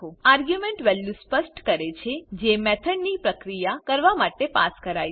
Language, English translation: Gujarati, The arguments specify values that are passed to the method, to be processed